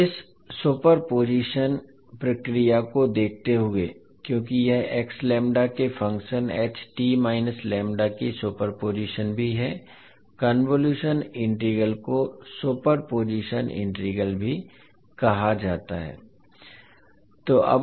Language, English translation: Hindi, So in view of this the super position procedure because this also super position of function h t minus lambda over x lambda, the convolution integral is also known as the super position integral